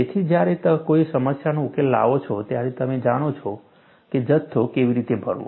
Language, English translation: Gujarati, So, when you solve a problem, you would know how to fill in the quantities